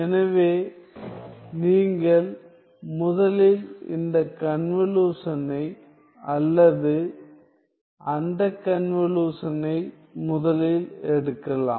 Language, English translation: Tamil, So, you can either take this convolution first or this convolution first